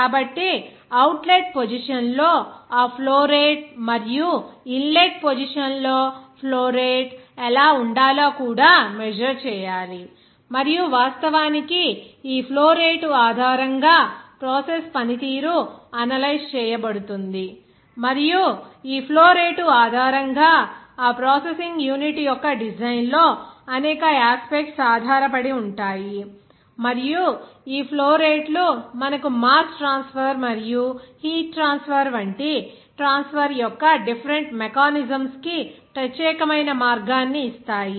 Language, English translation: Telugu, So, that also to be measured that what should be that flow rate in and also flow rate in outlet position, and of course, based on this flow rate that process performance will be analyzed and also you can say that based on this flow rate, there are several aspects of that design of that processing unit depends on and also these flow rates will give you that particular way of that different mechanism of transfer like a mass transfer and heat transport there